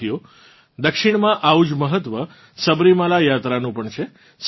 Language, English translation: Gujarati, Friends, the Sabarimala Yatra has the same importance in the South